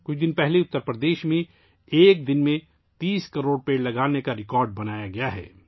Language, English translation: Urdu, A few days ago, in Uttar Pradesh, a record of planting 30 crore trees in a single day has been made